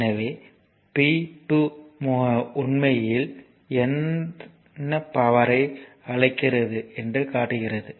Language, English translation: Tamil, So, p 2 actually this shows actually your what you call it is supplying power